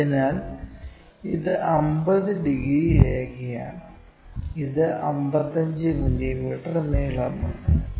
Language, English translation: Malayalam, So, this is 50 degrees line and it measures 55 mm long